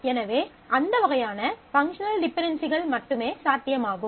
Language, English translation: Tamil, So, only those kind of functional dependencies are possible